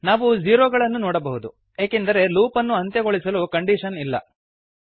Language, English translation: Kannada, We can see number of zeros, this is because the loop does not have the terminating condition